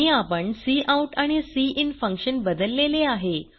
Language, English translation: Marathi, And we have changed the cout and cin function